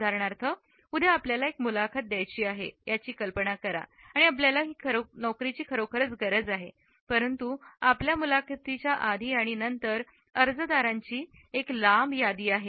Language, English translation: Marathi, For example, imagine you have an interview tomorrow and you really want the job, but there is a long list of applicants before and after your interview